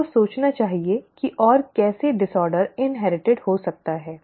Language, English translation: Hindi, You you could think how else could the disorder be inherited